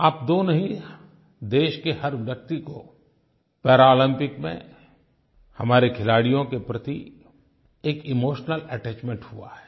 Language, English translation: Hindi, Not only the two of you but each one of our countrymen has felt an emotional attachment with our athletes who participated at the Paralympics